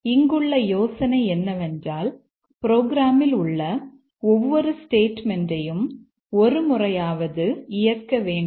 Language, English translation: Tamil, The idea here is that we need to execute every statement in the program at least once